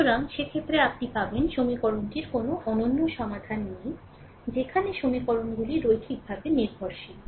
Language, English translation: Bengali, So, in that case you will find ah ah the equation has no unique solution; where equations are linearly dependent